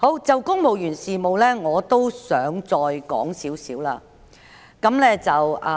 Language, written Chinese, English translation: Cantonese, 就公務員事務方面，我亦想提出一些觀點。, On matters relating to the civil service I also wish to raise some points